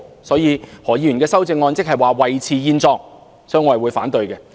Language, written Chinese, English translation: Cantonese, 所以，何議員的修正案是維持現狀，我會表示反對。, Mr HOs amendment is thus tantamount to maintaining the status quo which I will express objection